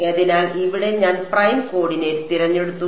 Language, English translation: Malayalam, So, here I have chosen the prime coordinate